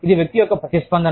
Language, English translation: Telugu, It is the individual's response